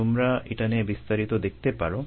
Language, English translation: Bengali, you can go through it in detail